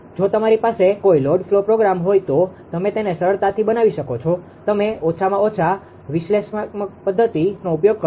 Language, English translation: Gujarati, If you have a if you have a load flow program you can easily make it; you at least using analytical method